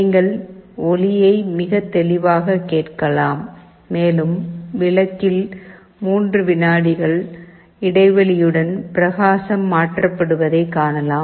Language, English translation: Tamil, You can hear the sound very clearly, and in the bulb you can see that with gaps of 3 seconds the brightness is changed